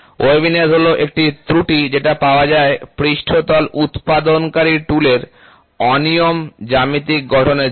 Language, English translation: Bengali, Waviness is an error in form due to irregular geometries of the tool producing the surface